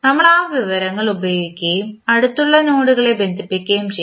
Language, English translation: Malayalam, We will use that information and connect the adjacent nodes